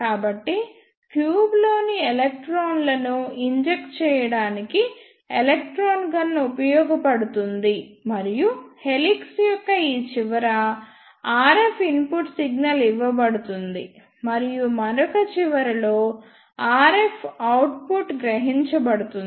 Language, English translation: Telugu, So, electron gun is used to inject electrons in the tube and input RF signal is given to this end of the helix and at the other end RF output is taken out